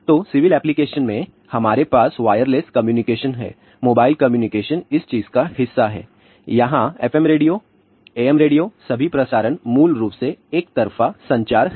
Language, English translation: Hindi, So, in civil application, we have a wireless communication mobile communication is part of this particular thing, here FM radio, AM radio, all the broadcasts are basically one way communication